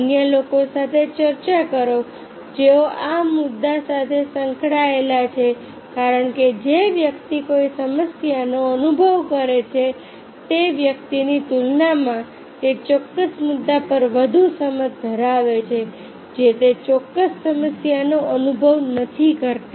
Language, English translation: Gujarati, those were involved with issue because a person who experiences issue, he has more insight on that particular issue compare to a person who does not experience that particular issue